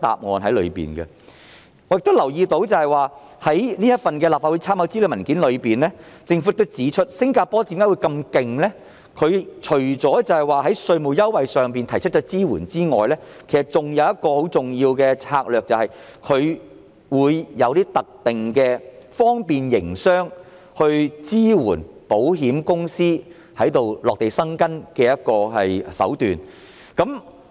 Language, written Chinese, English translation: Cantonese, 我亦留意到，在立法會參考資料文件中，政府亦指出新加坡很厲害，除了提供稅務優惠的支援外，還有一個很重要的策略，便是採用一些特定的方便營商措施，支援保險公司落戶該地。, I also notice that the Government has pointed out in the Legislative Council Brief that Singapores performance is outstanding . Apart from providing tax concession support Singapore has a very important strategy of offering special business facilitation support to assist insurance companies in setting up their offices there